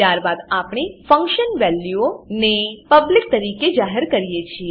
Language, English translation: Gujarati, Then we have function values declared as public